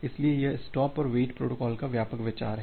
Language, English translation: Hindi, So, that is the broad idea of this stop and wait protocol